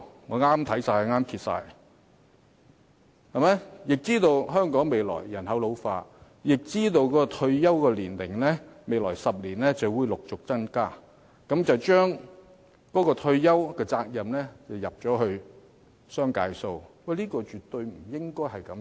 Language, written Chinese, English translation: Cantonese, 我們已知道香港未來將有人口老化的問題，也知道未來10年的退休年齡將會陸續增加，但政府卻把退休責任推在僱主身上，這是絕對不應該的。, As we are aware Hong Kong is going to have an ageing population in the future and the retirement age will continue to climb in the next 10 years but the Government has shifted the responsibility of proving retirement protection onto employers which is absolutely inappropriate